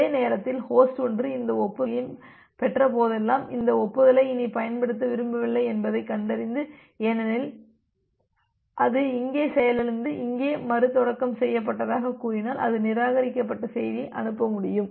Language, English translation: Tamil, At the same time, host 1 whenever it has received this acknowledgement message and it finds out that it do not want to use this acknowledgement anymore because it has crashed here and say restarted here, then it can sends the reject message